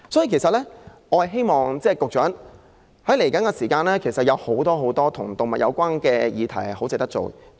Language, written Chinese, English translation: Cantonese, 因此，局長，在接下來的日子，還有許多與動物有關的議題值得探討。, And so Secretary there are actually a lot more animal issues worthy of exploring in the days to come